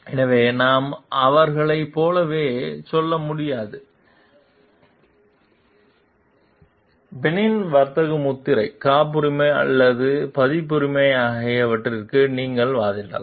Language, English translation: Tamil, So, we can tell like them you can argue that for the penny trademark patent or copyright